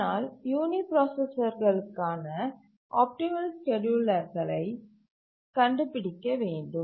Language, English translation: Tamil, But then what are the optimal schedulers for uniprocessors